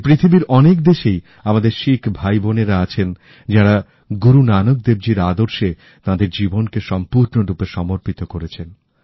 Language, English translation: Bengali, Many of our Sikh brothers and sisters settled in other countries committedly follow Guru Nanak dev ji's ideals